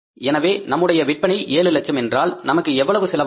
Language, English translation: Tamil, So, our sales are 700,700,000 So, how much expenses are going to be here